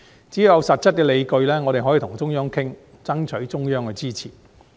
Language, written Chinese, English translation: Cantonese, 只要有實質的理據，我們可以與中央商討，爭取中央的支持。, As long as we have concrete justifications we may hold discussions with the Central Authorities and strive for their support